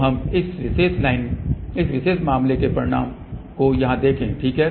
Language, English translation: Hindi, So, let us see the results for this particular case over here, ok